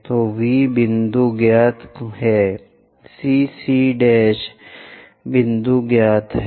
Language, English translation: Hindi, So, V point is known, CC prime point is known